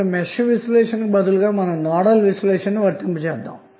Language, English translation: Telugu, Now instead of Mesh analysis you can also apply Nodal analysis as well